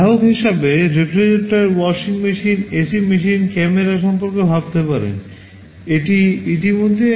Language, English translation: Bengali, In the consumer segment you can think of refrigerator, washing machine, AC machine, camera, this already we have talked about